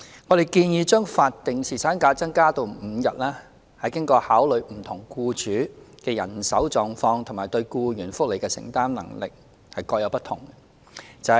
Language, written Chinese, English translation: Cantonese, 我們建議將法定侍產假增加至5天，是經考慮不同僱主的人手狀況及對僱員福利的承擔能力各有不同。, Our proposal to increase the statutory paternity leave to five days has taken into consideration the manpower situation of different employers and their capabilities to provide enhanced employee benefits